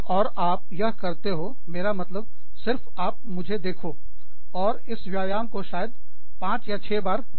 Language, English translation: Hindi, I mean, just look at me, and repeat this exercise, maybe, five or six times